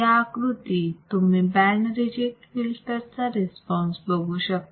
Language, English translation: Marathi, So, this is how I can design my band reject filter